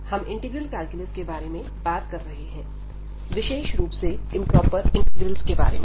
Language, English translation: Hindi, We are talking about the Integral Calculus in particular Improper Integrals